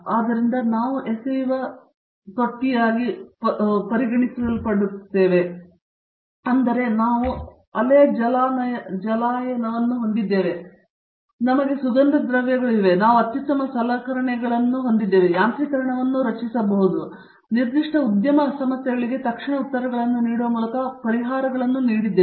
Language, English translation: Kannada, So, to name them we have the towing tank, we have wave basin, we have the flumes, we have the best of instrumentation, automation that we are able to form, give solutions to the industry by giving them immediate answers to specific problems